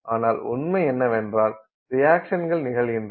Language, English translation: Tamil, The reality is that reactions occur